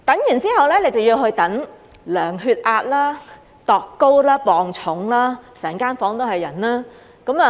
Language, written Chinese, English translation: Cantonese, 然後，便要去等候量度血壓、身高和體重，整間房間都是人。, After that one has to wait for measurements of blood pressure height and weight; and the whole room is packed with people